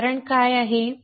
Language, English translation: Marathi, What is an example